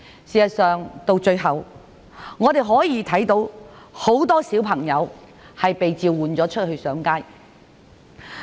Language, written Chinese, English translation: Cantonese, 事實上，我們最終看到很多小朋友被召喚上街。, In fact we noticed that many students had responded to the appeal and took to the streets